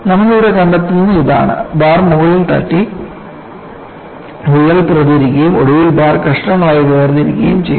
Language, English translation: Malayalam, So, what do you find here is the bar is hit on the top, the crack propagates, and eventually, separates the bar into pieces